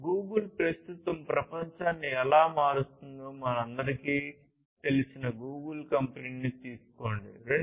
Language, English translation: Telugu, Take the company Google we all know how Google is transforming the world at present